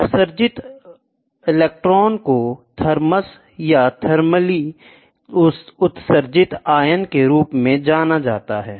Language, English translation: Hindi, The emitted electrons are known as thermions thermally emitted ion thermion